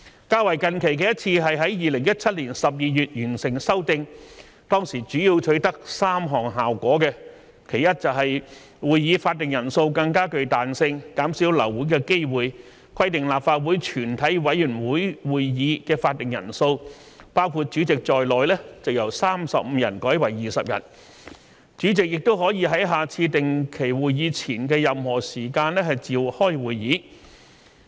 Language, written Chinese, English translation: Cantonese, 較近期的一次是在2017年12月完成修訂，當時主要取得3項效果：其一，會議法定人數更具彈性，減少流會的機會，規定立法會全體委員會會議法定人數包括主席在內由35人改為20人，主席也可以在下次定期會議前的任何時間召開會議。, The most recent amendment was done in December 2017 and mainly three effects could be achieved . After the amendment firstly the more flexible quorum requirements can reduce the chance of abortion of meetings . It is stipulated that the quorum of a committee of the whole Council shall be 20 members instead of 35 members including the Chairman